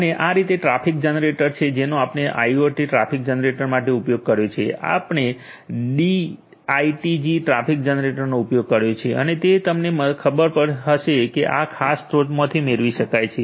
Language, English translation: Gujarati, And for IoT traffic generator this is this traffic generator that we have used; we have used the D ITG traffic generator and it can be you know it can be procured from this particular source